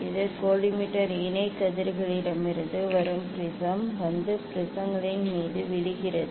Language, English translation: Tamil, see this is the prism from collimator parallel rays are coming and falling on the prisms